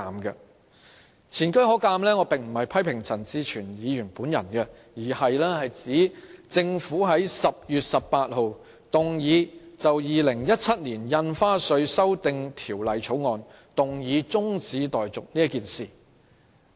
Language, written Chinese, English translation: Cantonese, 我這樣說並不是要批評陳志全議員，而是想指出政府亦曾在10月18日就《2017年印花稅條例草案》提出中止待續議案。, I say this not because I wish to hurl criticisms at Mr CHAN Chi - chuen but merely to highlight that on 18 October the Government also moved a motion to adjourn the debate on the Stamp Duty Amendment Bill 2017